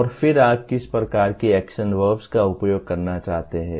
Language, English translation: Hindi, And then what kind of action verbs do you want to use